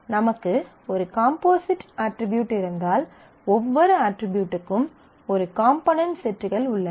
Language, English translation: Tamil, So, if I have a composite attribute, where every attribute has a set of components